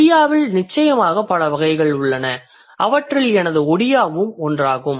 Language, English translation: Tamil, ODIA definitely has multiple varieties and my ODIA is one of them